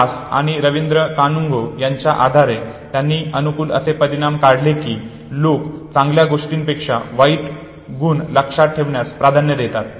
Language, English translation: Marathi, P Das and Rabindra Kanungo, they inferred that people prefer to remember bad attributes rather than good ones